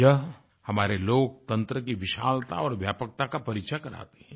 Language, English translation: Hindi, This stands for the sheer size & spread of our Democracy